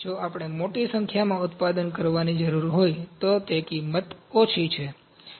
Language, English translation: Gujarati, If we need to produce the large number, the cost is lower